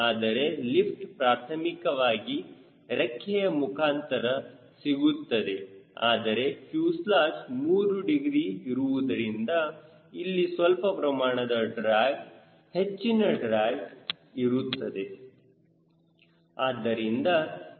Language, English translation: Kannada, so lift will primarily come from the wing but fuselage, being at three degree will also give some drag, larger drag